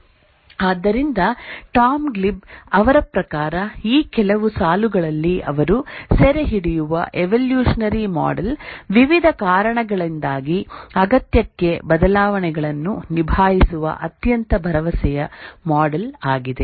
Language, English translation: Kannada, So, according to Tom Gleib, the evolutionary model which he captures here in this view lines is a very promising model to handle changes to the requirement due to various reasons